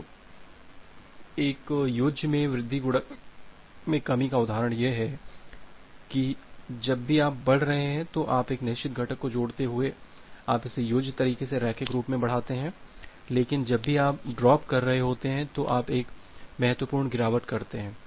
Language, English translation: Hindi, So, the example of a additive increase multiplicative decrease is that say you increase it linearly in additive way adding a fixed component whenever you are increasing, but whenever you are dropping you make a significant drop